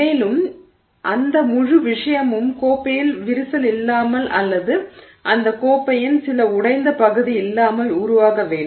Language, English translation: Tamil, You want that whole thing to form without crack in that cup or some, you know, broken part of that cup